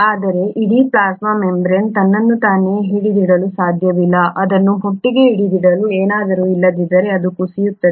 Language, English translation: Kannada, But then the whole plasma membrane cannot hold itself, it will end up collapsing unless there is something to hold it together